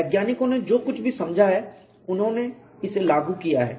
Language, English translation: Hindi, Whatever the scientist have understood they have implemented